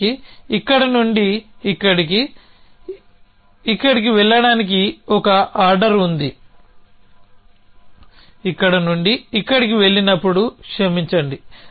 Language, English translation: Telugu, So, in the end will have one order go from here to here on here to here sorry go from here to here when go from here to here